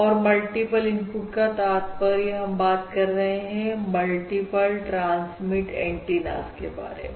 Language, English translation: Hindi, When we say multiple, we mean more than 1, Multiple receive, multiple transmit antennas and multiple receive antennas